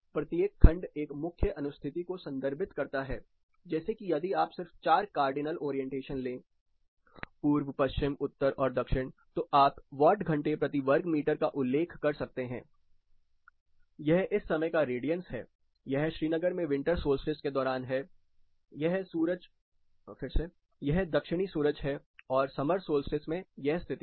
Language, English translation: Hindi, So, each of this segment represents a specific orientation say if you want to take just four cardinal orientation east, west, north and south, you can refer watt hour per meter square, this is radiance at this particular instance of time, this is during winter solstice in Srinagar, this is a Southern sun summer solstice, this is a condition